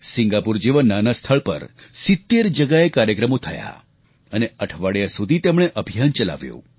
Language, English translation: Gujarati, In a small country like Singapore, programs were organised in 70 places, with a week long campaign